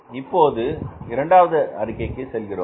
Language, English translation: Tamil, Now you move to the second statement